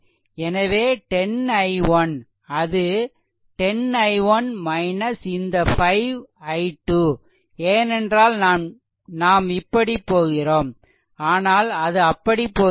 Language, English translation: Tamil, So, it will be 10 i 1 it is 10 i 1 minus this 5 i 2, because it is it is we are moving this way we are moving this way, but it is going this way